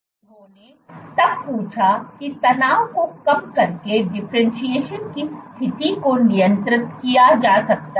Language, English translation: Hindi, They then asked that can differentiation status be regulated by perturbing tension